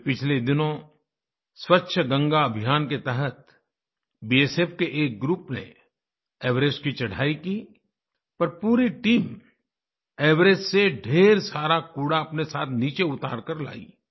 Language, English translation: Hindi, A few days ago, under the 'Clean Ganga Campaign', a group from the BSF Scaled the Everest and while returning, removed loads of trash littered there and brought it down